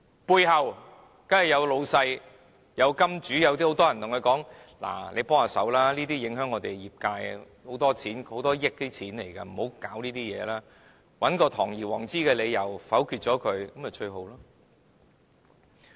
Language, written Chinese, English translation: Cantonese, 背後當然有老闆、金主，有很多人叫他們幫忙，這樣會影響業界的，涉及很多錢的，很多億元的，切勿不要觸及這些事，找一個堂而皇之的理由，否決《條例草案》便最好。, May people will seek their help and tell them this will affect the industry . As it involves a lot of money hundreds of millions of dollars therefore they should not touch upon the issue . It is better for them to find a grandiose excuse to veto the Bill